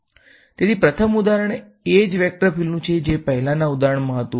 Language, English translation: Gujarati, So, the first example is the same vector field that I had in the previous example right